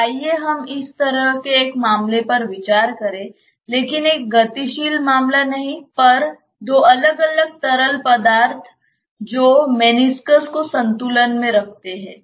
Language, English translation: Hindi, So, let us consider such a case, but not a moving case, but two different liquids which are keeping meniscus in equilibrium